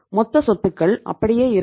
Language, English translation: Tamil, We will keep the level of total assets same